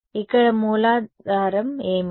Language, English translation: Telugu, Here what is the source point